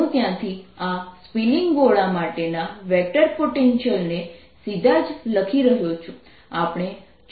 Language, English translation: Gujarati, i am ah directly writing the vector potential for this ah spinning sphere